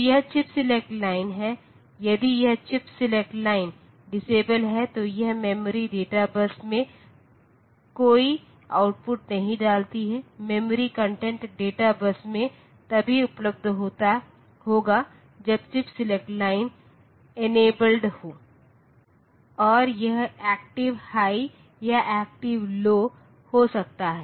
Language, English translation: Hindi, So, this is the chip select line, so if this chip select line is disabled then this memory does not put any output on to the data bus, the memory content will be available on the data bus only when the chip select line is enabled and this may be active high or active low